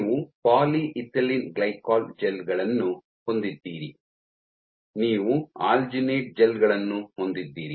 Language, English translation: Kannada, You have polyethylene glycol gels; you have alginate gels